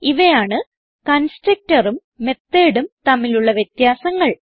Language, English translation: Malayalam, So this were some differences between constructor and method